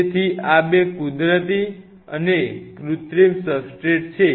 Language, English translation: Gujarati, So, these 2 are the natural and this is the synthetic substrate